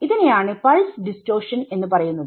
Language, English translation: Malayalam, So, this is what is called pulse distortion